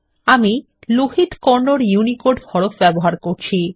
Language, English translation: Bengali, Lohit Kannada is the UNICODE font that I am using